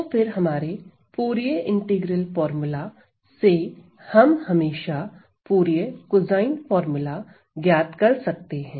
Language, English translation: Hindi, So then from Fourier integral formula I can always find Fourier cosine formula